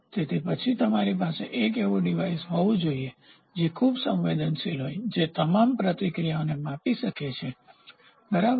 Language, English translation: Gujarati, So, then you have to have a device, which is very sensitive which can measure all the deflections all the responses, right